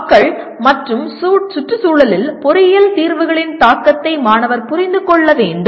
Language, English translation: Tamil, And student should understand the impact of engineering solutions on people and environment